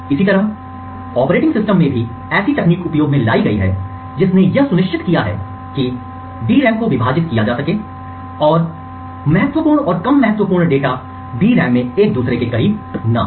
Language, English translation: Hindi, Similarly, techniques in the operating system like ensuring that the DRAM is partitioned, and sensitive and non sensitive data are not placed adjacent to each other on the DRAM